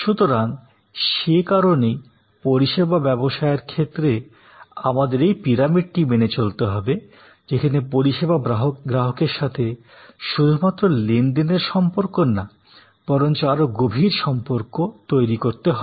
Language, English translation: Bengali, So, that is why in service business, we have to claim this pyramid, where from transactional nature of relation with the service consumer, we have to create a deeper relationship